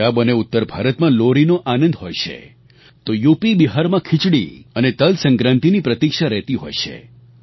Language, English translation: Gujarati, Lohdi is celebrated in Punjab and NorthIndia, while UPBihar eagerly await for Khichdi and TilSankranti